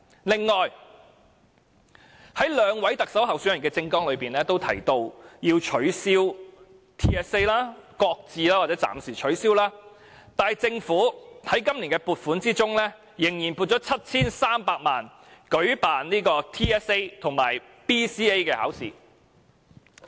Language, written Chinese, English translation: Cantonese, 此外，在兩位特首候選人的政綱中均提到要取消、擱置或暫時取消 TSA， 但政府卻仍在今年撥款中撥出 7,300 萬元舉辦 TSA 及 BCA 考試。, Besides two candidates in the Chief Executive Election both asked for the abolition shelving or postponement of the Territory - wide System Assessment TSA in their manifesto but the Government has still allocated 73 million in the Budget this year for holding TSA and the Basic Competency Assessment BCA